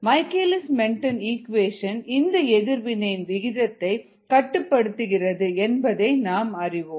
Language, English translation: Tamil, we know that the michaelis menten equation governs the rate of this ah reaction